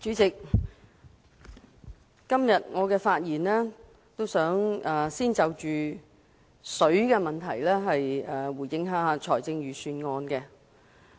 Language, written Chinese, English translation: Cantonese, 代理主席，我今天發言，先就食水問題對財政預算案作出回應。, Deputy President today my comment on the Budget will start with the drinking water issue